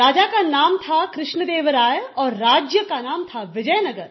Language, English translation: Hindi, The name of the king was Krishna Deva Rai and the name of the kingdom was Vijayanagar